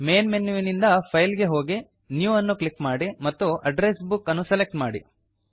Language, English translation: Kannada, From the Main menu, go to File, click New and select Address Book